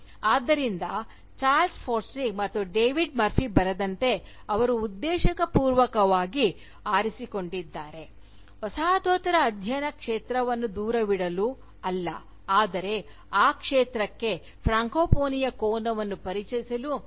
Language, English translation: Kannada, So, as Charles Forsdick and David Murphy writes, that they have deliberately chosen, not to do away with the field of Postcolonial studies, but to merely introduce the angle of francophony, to that field